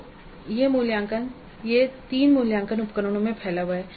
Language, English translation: Hindi, So this is spread over 3 assessment instruments